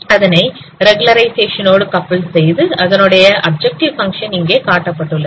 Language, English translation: Tamil, And coupled with regularization, the corresponding objective function has been shown here